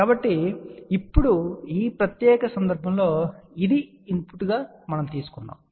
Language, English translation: Telugu, So, in this particular case now, the if this is the input we take it